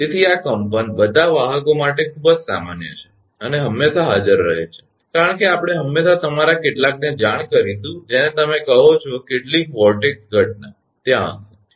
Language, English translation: Gujarati, So, these vibration are very common to all conductors, and are always present right, because we always will know some your what you call some vortex phenomena will be there